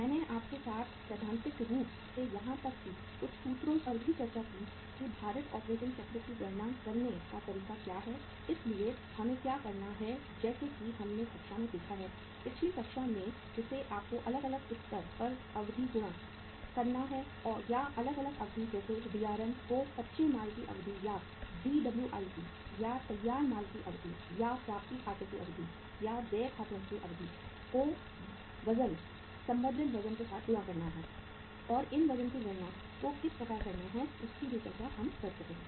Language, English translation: Hindi, I discussed with you theoretically uh even some formulas also that how what is the way to calculate the weighted operating cycle so what we have to do as we have seen in the class, in the previous class that you have to multiply the duration at the different level or the different durations maybe Drm that is duration of raw material or Dwip or duration of the finished goods or duration of the accounts receivables as well as accounts payable with the weights with the respective weights and how to calculate the weights we have already discussed that